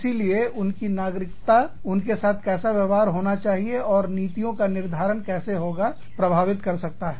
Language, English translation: Hindi, So, their nationality, could have an impact on, how they can, and should be treated, and how the policies, are formulated